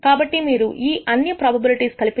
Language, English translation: Telugu, So, if you add up all these probabilities